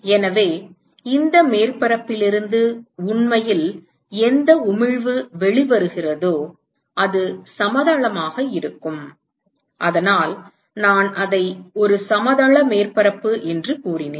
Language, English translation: Tamil, So, whatever emission which is actually coming out of this surface which is planar, so I said it is a planar surface